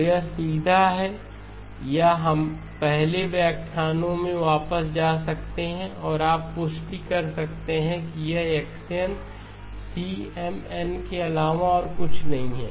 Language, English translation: Hindi, So it is straightforward or we can go back to the earlier lectures and you can confirm that this is nothing but x of n cM of n